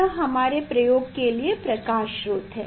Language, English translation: Hindi, this is the source for our experiment